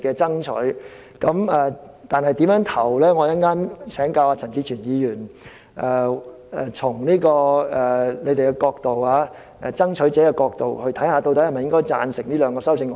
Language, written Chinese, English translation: Cantonese, 至於最後我會如何投票，稍後我會請教陳志全議員，嘗試從他們爭取者的角度，看看是否也贊成這兩項修正案。, As for how I will vote I will seek Mr CHAN Chi - chuens advice and try to see if he also agrees with the two amendments from the perspective of a homosexual rights fighter